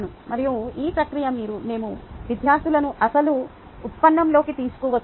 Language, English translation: Telugu, and this process: we have brought the students into the actual derivation